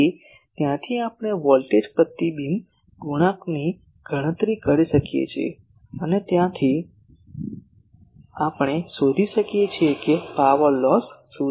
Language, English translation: Gujarati, So, from there we can calculate voltage reflection coefficient and from there we can find what is the power loss